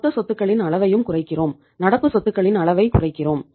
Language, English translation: Tamil, We reduce the level of total assets also and we reduce the level of say current assets